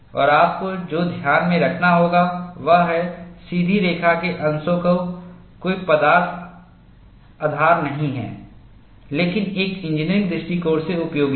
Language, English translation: Hindi, And what you will have to keep in mind is, the straight line portions have no physical basis, but are useful from an engineering standpoint